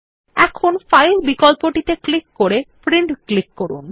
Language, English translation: Bengali, Now click on the File option and then click on Print